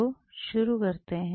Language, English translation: Hindi, So, just start off with